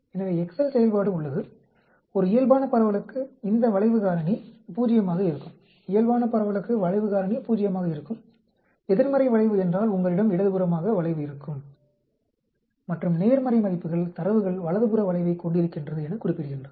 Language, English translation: Tamil, So, excel function is there, for a Normal distribution this skewness factor will be 0, for the Normal distribution the skewness factor will be Zero, for an negative skewness means you have a skewed to, skewed to the left and positive values indicate data that are the skewed to the right